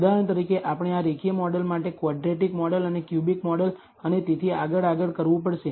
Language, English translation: Gujarati, For example, we have to do this for the linear model the quadratic model the cubic model and so on so forth